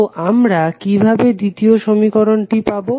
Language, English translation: Bengali, So, how we will get the second equation